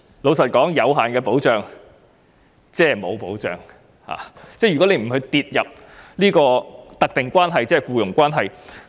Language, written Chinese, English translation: Cantonese, 坦白說，有限的保障即是沒有保障，並不屬於"特定關係"的定義。, Frankly speaking limited protection is no different from zero protection and does not fall within the definition of specified relationship